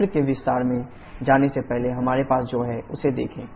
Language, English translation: Hindi, Before going to the detail of the cycle just look what we have